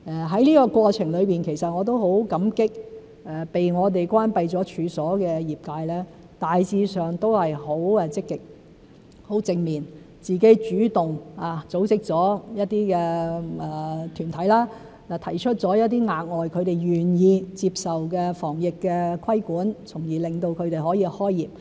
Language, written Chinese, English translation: Cantonese, 在這過程中，其實我也很感激被我們關閉了處所的業界，大致上也是很積極和正面，自行主動組織了一些團體，提出了一些他們願意接受的額外防疫規管，從而令他們可以開業。, In the process I am grateful to the industries of which the premises were closed by us . Their response was proactive and positive in general . They have taken the initiative to organize some groups and put forward additional anti - epidemic measures that they are willing to take so as to facilitate the resumption of business